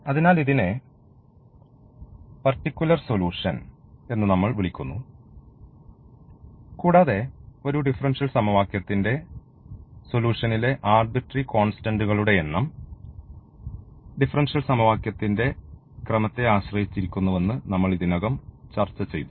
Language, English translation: Malayalam, So, which call which we call as the particular solution and as we discussed already that the number of arbitrary constants in a solution of a differential equation depends on the order of the differential equation